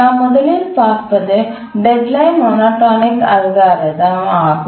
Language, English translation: Tamil, But what is the main idea behind the deadline monotonic algorithm